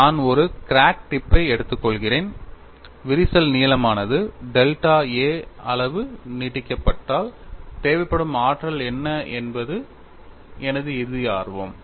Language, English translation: Tamil, I am taking a crack tip, my interest is if the crack extends by a length delta a, what is the energy that is required is my ultimate interest